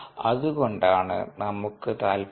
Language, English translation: Malayalam, that's why we are interested